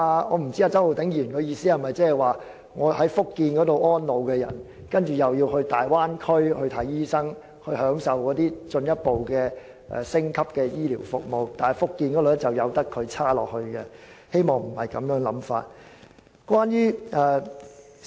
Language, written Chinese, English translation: Cantonese, 我不知道周浩鼎議員的意思是否讓在福建安老的長者前往大灣區求診時可享受進一步或升級醫療服務，但卻任由福建繼續差勁下去。, I wonder if Mr Holden CHOW meant to say that elderly people living in Fujian should be entitled to further or upgraded health care services when seeking medical treatment in the Bay Area and those who do so in Fujian should continue to receive deplorable services